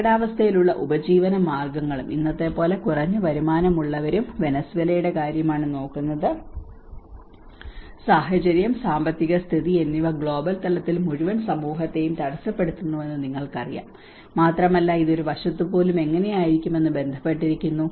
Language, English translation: Malayalam, Livelihoods at risk and the low income levels like today we are looking case of Venezuela, how the situation, the financial situations have been you know disrupting the whole community in a global level, and it is also relating how even on one side when the economy falls down how it have impact on the whole society as a whole